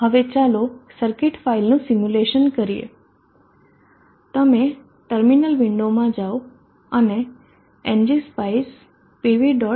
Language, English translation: Gujarati, Now let us simulate the circuit file you go into the terminal window type in ng spice P V